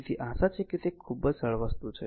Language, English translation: Gujarati, So, hope it is understandable very simple thing right